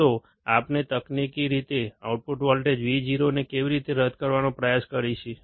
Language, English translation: Gujarati, So, how do we technically try to null the output voltage Vo